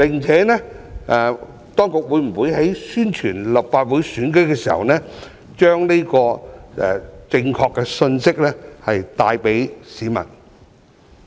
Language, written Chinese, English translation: Cantonese, 此外，當局會否在宣傳立法會選舉的時候，把這個正確的信息帶給市民？, In addition will the authorities deliver this correct message to members of the public when carrying out publicity work in respect of the Legislative Council election?